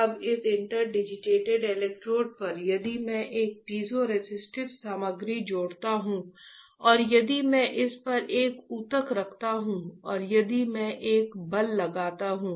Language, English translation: Hindi, Now on this interdigitated electrodes, if I add a piezoresistive material, right and if I place a tissue on this and if I apply a force f one